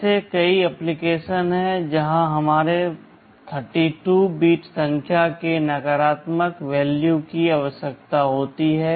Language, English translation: Hindi, There are many applications where negative value of our 32 bit number is required